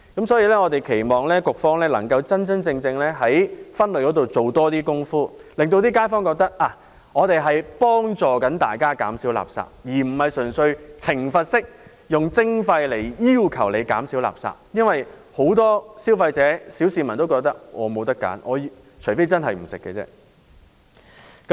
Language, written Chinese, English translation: Cantonese, 所以，我們期望局方能夠真真正正在垃圾分類方面多做工夫，讓街坊覺得政府正在協助大家減少垃圾，而不是純粹以懲罰式的徵費來要求市民減少垃圾，因為很多消費者或小市民也覺得除非他們不吃不用，否則便沒有選擇。, As such we hope that the authorities will genuinely step up their efforts on waste separation . In this way kaifongs will think that the Government is intended to help them reduce waste instead of simply requiring the public to reduce waste by imposing a punitive levy . Many consumers and ordinary members of the public may also have the feeling that they have no other options unless they refrain from eating or using anything